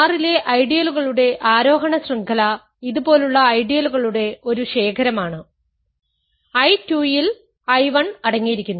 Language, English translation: Malayalam, An ascending chain of ideals in R, ascending chain of ideals in R is a chain is a collection of ideals like this, I 1 contained in I 2 contained in I 3 and so on